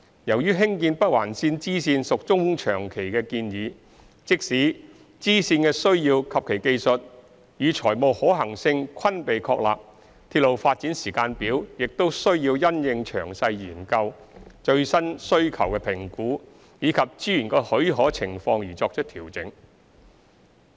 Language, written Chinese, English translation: Cantonese, 由於興建北環綫支綫屬中長期的建議，即使支線的需要及其技術與財務可行性均被確立，鐵路發展時間表亦須因應詳細研究、最新需求評估及資源的許可情況而作出調整。, Since the construction of bifurcation of the Northern Link is a medium to long term project even if the need the technical and financial feasibilities of the bifurcation have been established its development timetable should be adjusted according to the detailed study assessment on the latest demand and availability of resources